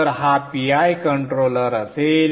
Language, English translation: Marathi, So this would be a PI controller